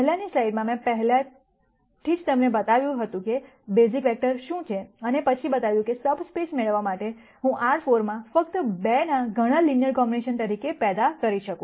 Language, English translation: Gujarati, In the previous slide I had already shown you what the basis vectors are and then shown how I could generate many many linear combinations of just 2 in R 4 to get a subspace